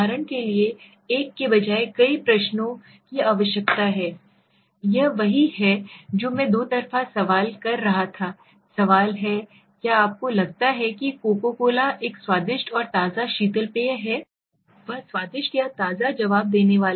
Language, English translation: Hindi, Are several questions needed instead of one for example, this is what I was saying double barreled question, do you think coco cola is a tasty and refreshing soft drink, now which is the what is he is going to answer tasty or refreshing, so how is the correct one